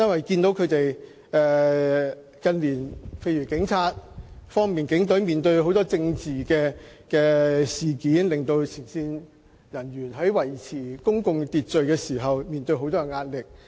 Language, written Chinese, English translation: Cantonese, 警隊近年面對很多政治事件，令前線警務人員在維持公共秩序時面對沉重壓力。, Given that the Police have to deal with many political incidents in recent years frontline police officers have been under immense pressure when maintaining public order